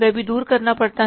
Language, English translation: Hindi, That also has to be done away